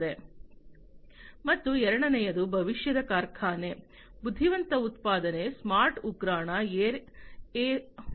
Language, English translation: Kannada, And second is factory of future, intelligent manufacturing, smart warehousing, air as a service